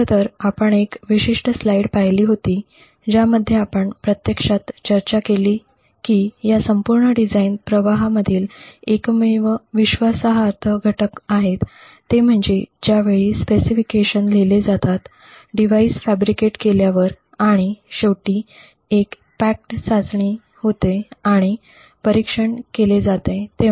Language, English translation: Marathi, So we in fact had looked at this particular slide wherein we actually discussed that the only trusted components in this entire design flow is at the time of specification and after the device is fabricated and there is a packaged testing that is done and monitoring